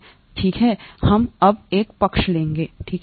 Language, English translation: Hindi, Let us, okay, we will take a side story now, okay